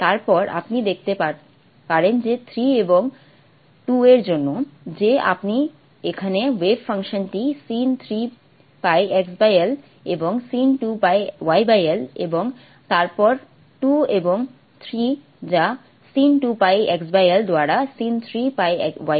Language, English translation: Bengali, And you can see that for 3 and 2 that you have here the way function sine 3 pi x by l and sign 2 pi y by l and then 2 and 3 and 3 and 3 pi x by l and sign 2 pi y by l and then 2 and 3 and 3 pi x by l